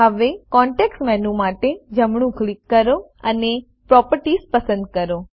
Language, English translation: Gujarati, Now, right click for the context menu and select Properties